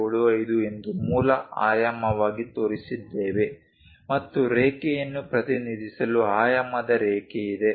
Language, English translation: Kannada, 75 as the basic dimension and there is a dimension line to represent the line